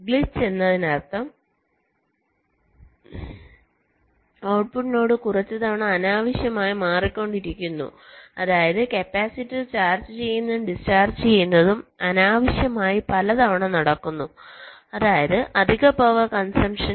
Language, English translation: Malayalam, glitch means the output node is changing unnecessarily a few times, which means charging and discharging of the capacitor is taking place unnecessarily that many times, which means, ah, extra power consumption